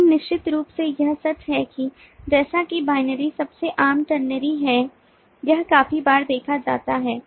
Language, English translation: Hindi, but of course it is true that as binary is the most common, ternary is seen to quite a times